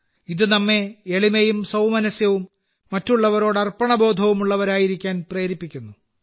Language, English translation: Malayalam, They inspire us to be simple, harmonious and dedicated towards others